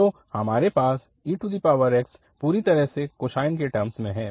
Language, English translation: Hindi, So, we have x equal to completely the cosine series